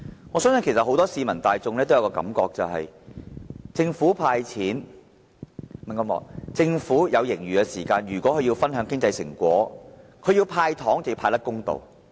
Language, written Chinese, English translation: Cantonese, 我相信市民大眾有多一個感覺，就是政府有盈餘而要與市民分享經濟成果，那麼要"派糖"便要派得公道。, I believe the general public will have the impression that when the Government has a surplus and has to share the fruits of economic development with the public candies should be distributed in a fair manner